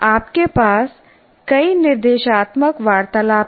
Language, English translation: Hindi, You have several instructional conversations